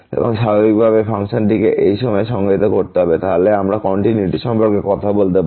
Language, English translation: Bengali, And naturally the function must be defined at this point, then only we can talk about the continuity